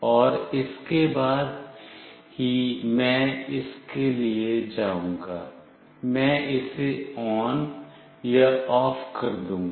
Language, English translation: Hindi, And then only I will go for it, I will make it on or off